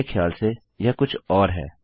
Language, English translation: Hindi, I think its something else